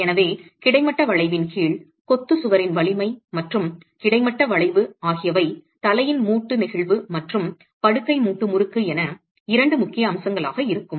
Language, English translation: Tamil, So, under horizontal bending, the two aspects of importance as far as the strength of the masonry wall under horizontal bending would be the head joint flexia and the bed joint torsion